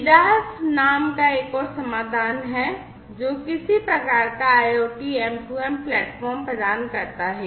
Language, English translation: Hindi, There is another solution named as MIDAS, which provides some kind of IoT/M2M platform